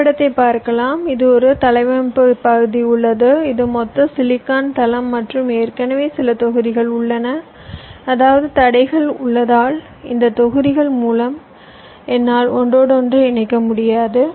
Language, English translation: Tamil, say i have a layout area this is my total silicon floor and i have already some blocks, which is which have place, which means this are obstacles